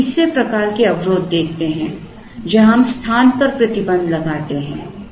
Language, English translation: Hindi, Now, let us look at the 3rd type of a constraint, where we place a restriction on space